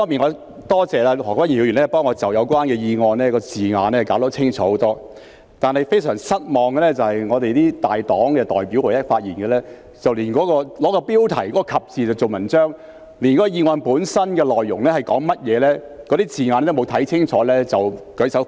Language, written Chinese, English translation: Cantonese, 我多謝何君堯議員替我把議案的字眼弄清楚很多，但令我非常失望的是本會大黨的代表在其發言中，甚至會以標題的"及"字來造文章，連議案的內容或字眼也沒有看清楚便舉手反對。, I thank Dr Junius HO for clarifying the wording of the motion and making it much clearer for me but I find it most disappointing that in their speeches the representatives of major political parties in this Council had made a fuss over the word and in the motion subject and put up objection when they did not even read clearly the contents or wording of the motion